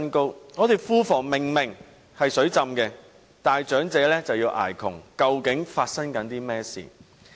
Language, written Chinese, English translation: Cantonese, 香港的庫房明明"水浸"，但長者卻要捱窮，究竟發生甚麼事？, The coffers of Hong Kong are obviously flooded with money yet elderly citizens have to endure poverty . What is happening?